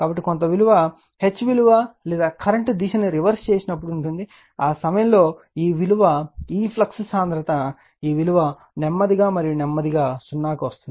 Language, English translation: Telugu, So, some value of will be there in the reverse direction that H value or you are reversing the direction of the current, at that time you will find that this value right your what you call this flux density right, this value you are slowly and slowly coming to 0